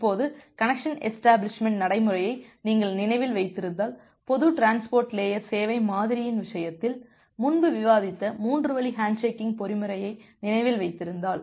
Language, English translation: Tamil, Now, if you remember the connection establishment procedure 3 way handshaking mechanism that we have discussed earlier in the case of general transport layer service model